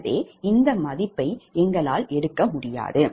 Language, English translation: Tamil, so we cannot take this value